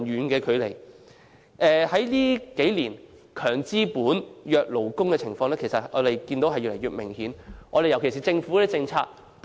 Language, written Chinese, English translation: Cantonese, 近年，"強資本，弱勞工"的情況越來越明顯，尤其在政府政策方面。, In recent years the situation of strong capitalists but weak workers has become increasingly obvious particularly in respect of government policies